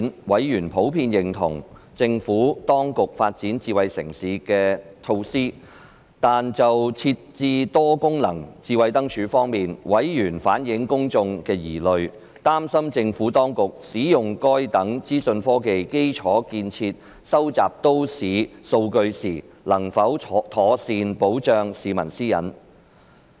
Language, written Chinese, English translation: Cantonese, 委員普遍認同政府當局發展智慧城市的措施；但就設置多功能智慧燈柱，委員反映公眾的疑慮，擔心政府當局使用該等資訊科技基礎建設收集都市數據時，能否妥善保障市民私隱。, Members generally endorsed the Administrations measures of smart city development but have reflected the publics worry about the provision of multi - functional smart lampposts fearing that the Administration was able to duly protect personal privacy when collecting city data with this information technology infrastructure